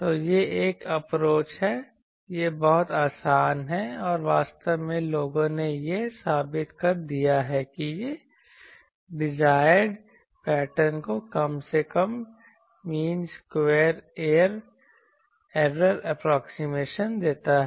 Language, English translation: Hindi, So, this is one approach it is very easy and actually people have proved that this is a it gives a least mean square error approximation to the desired pattern